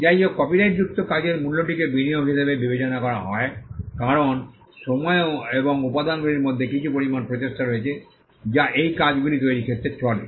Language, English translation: Bengali, However, the value in a copyrighted work is regarded as an investment because, there is some amount of effort in time and material that goes into creation of these works